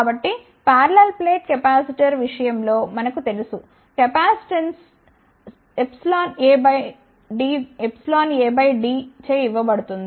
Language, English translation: Telugu, So, now, we know in case of parallel plate capacitor, the capacitance is given by epsilon a by d